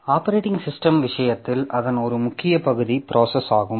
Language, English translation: Tamil, So, in case of operating system, one important part of it is process